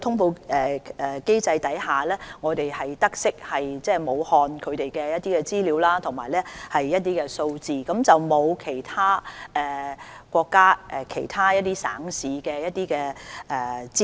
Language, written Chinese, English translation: Cantonese, 透過通報機制，我們得悉武漢的有關資料和數字，但未獲國家其他省市的有關資料。, We were informed of the relevant information and figures in Wuhan under the notification mechanism but we have not yet received those in other provinces and cities